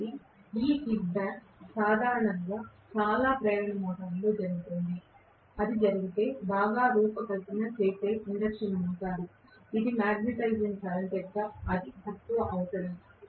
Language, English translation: Telugu, So, this kicking back would normally happen in most of the induction motors, if it so happens that it is a well design induction motor with very minimal requirement of magnetizing current right